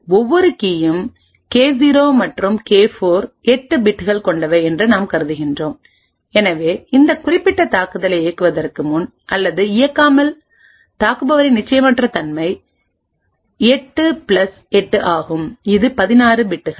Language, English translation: Tamil, Suppose we assume that each key K0 and K4 is of 8 bits, therefore before running or without running this particular attack the uncertainty of the attacker is 8 plus 8 that is 16 bits